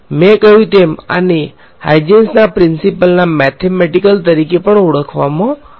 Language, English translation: Gujarati, This as I mentioned was is also known as the mathematical form of Huygens principle